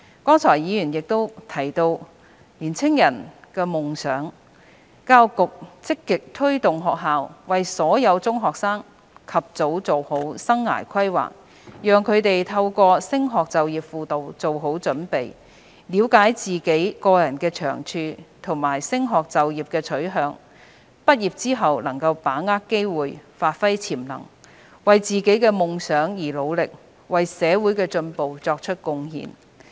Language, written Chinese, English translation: Cantonese, 剛才議員亦提到青年人的夢想，教育局積極推動學校為所有中學生及早作好生涯規劃，讓他們透過升學就業輔導做好準備，了解自己個人的長處和升學就業的取向，畢業後能把握機會，發揮潛能，為自己的夢想而努力，為社會的進步作出貢獻。, A Member also mentioned the dreams of young people just now . The Education Bureau has actively promoted the early preparations for career and life planning of all secondary school students . Through study and career counselling students can understand their own strengths as well as their preference for further studies and employment grasp the opportunities after graduation give full play to their potentials work hard for their dreams and make contribution to the progress of society